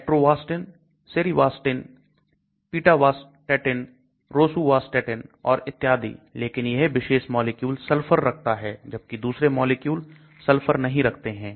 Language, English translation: Hindi, Atorvastatin, cerivastatin, pitavastatin, rosuvastatin and so on, but this particular molecule contains sulphur, other molecules do not contain sulphur